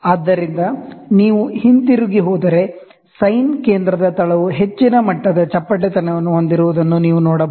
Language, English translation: Kannada, So, if you go back, you can see the base of the sine centre has a high degree of flatness